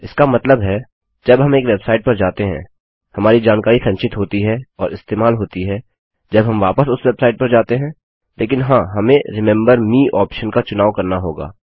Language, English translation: Hindi, This means, that when we go to a website, our details are stored and are used when we visit it again, provided we select an option like Remember me